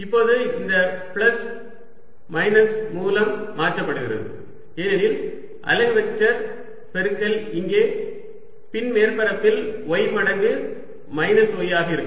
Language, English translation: Tamil, now this plus going to replace by minus, because the unit vector product out here is going to be y times minus y for the back surface